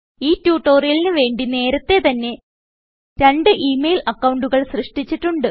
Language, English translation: Malayalam, For the purpose of this tutorial, we have already Created two email accounts.for the purpose of this tutorial